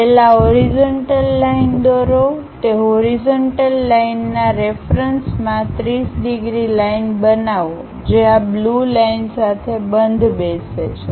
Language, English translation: Gujarati, First draw a horizontal line, with respect to that horizontal line, construct a 30 degrees line that line matches with this blue line